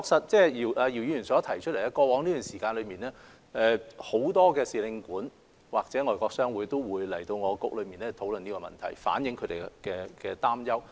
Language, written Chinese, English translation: Cantonese, 然而，確實如姚議員所提及，在過去一段時間裏，很多使領館或外國商會都會與商務及經濟發展局討論此事，反映他們的憂慮。, Nevertheless it is true that as mentioned by Mr YIU many diplomatic and consular missions or foreign chambers of commerce have discussed the issue with the Commerce and Economic Development Bureau and expressed their concerns over the past period of time